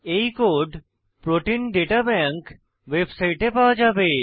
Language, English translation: Bengali, This code can be obtained from the Protein Data Bank website